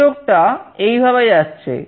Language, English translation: Bengali, This is how the connection goes